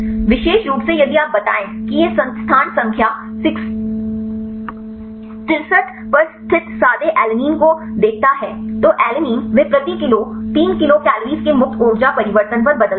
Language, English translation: Hindi, There is specifically if you tell look at this replaced plain alanine at the position number 63 to alanine they change at the free energy change of 3 kilocal per mole